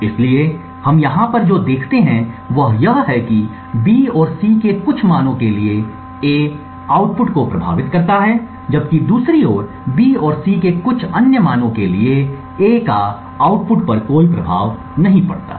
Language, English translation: Hindi, So, what we see over here is that for certain values of B and C, A influences the output, while on the other hand for certain other values of B and C, A has no influence on the output